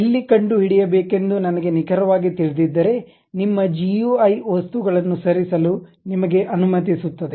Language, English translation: Kannada, If I precisely know where to really locate your GUI really permits you to move objects